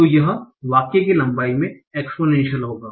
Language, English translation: Hindi, So this will be exponential in the length of the sentence